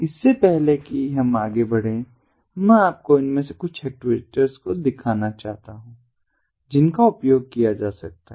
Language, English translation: Hindi, before we proceed, i wanted to show you at the outset some of these actuators that can be used